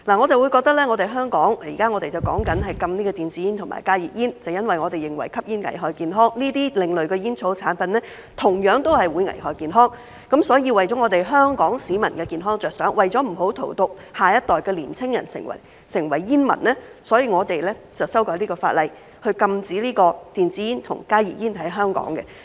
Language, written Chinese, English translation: Cantonese, 在香港，我們現在討論禁止電子煙和加熱煙，正因我們認為吸煙危害健康，而這些另類的煙草產品同樣會危害健康，所以為了香港市民的健康着想，為了不要荼毒下一代的年輕人成為煙民，所以我們修改這項法例，在香港禁止電子煙和加熱煙。, In Hong Kong we are now discussing a ban on electronic cigarettes and heated tobacco products HTPs exactly because we believe that smoking is hazardous to health and these alternative tobacco products are equally hazardous to health . Therefore for the sake of the health of Hong Kong people and in order not to do harm to young people of our next generation and turn them into smokers we are amending this law to ban e - cigarettes and HTPs in Hong Kong . Yet on the one hand we are saying that we have to ban such products but on the other hand we are suggesting allowing their re - export